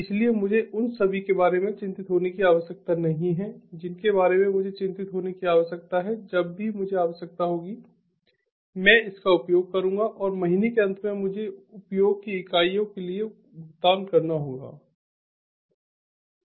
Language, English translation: Hindi, so i do not need to be worried about all i need to be worried about is whenever i required i will be using it and at the end of the month i should be paying for the units of usage